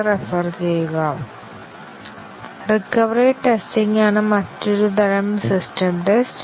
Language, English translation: Malayalam, Another type of system test is the recovery test